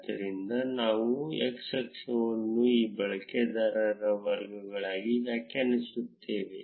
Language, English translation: Kannada, So, we will define the x axis to be the categories of these users